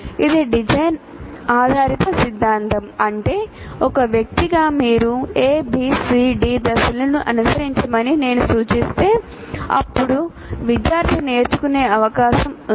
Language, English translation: Telugu, That means as an individual, if I suggest you follow A, B, C, D steps, then the student is likely to learn